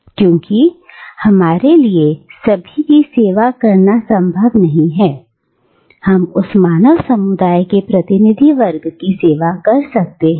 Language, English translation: Hindi, Because it is not possible for us to serve everyone, we serve a representative section of that human community